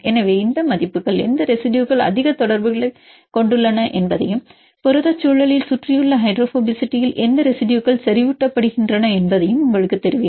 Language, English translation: Tamil, So, these values will tell you which residues are having more contacts and which residues are enriched in surrounding hydrophobicity in protein environment